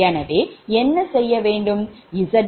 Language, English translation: Tamil, so what will do z bus first